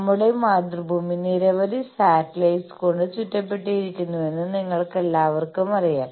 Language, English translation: Malayalam, All of you know that our mother earth is surrounded by so many satellites